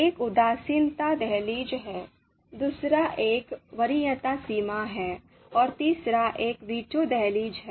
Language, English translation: Hindi, One is indifference threshold, the another one is the preference threshold and the third one is the veto threshold